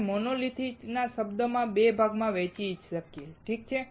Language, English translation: Gujarati, We can divide the term monolithic into 2 parts, alright